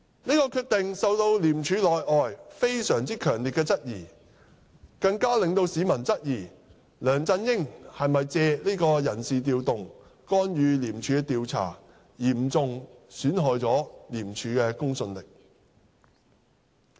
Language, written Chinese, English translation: Cantonese, 這個決定受到廉署內外非常強烈的質疑，更令市民質疑梁振英是否借這次人事調動干預廉署的調查，嚴重損害廉署的公信力。, This decision was strongly challenged both inside and outside ICAC and the public even questioned whether LEUNG Chun - ying sought to intervene in the ICAC investigation by this personnel reshuffle . This has dealt a severe blow to the credibility of ICAC